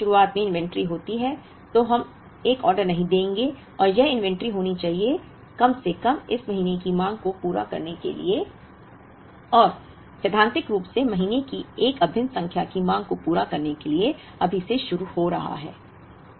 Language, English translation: Hindi, When there is inventory at the beginning of the period, we will not place an order and that inventory should be, enough to meet at least this month’s demand and in principle to meet the demand of an integral number of months, starting from now